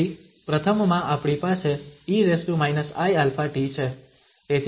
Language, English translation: Gujarati, So in the first one we have minus i alpha t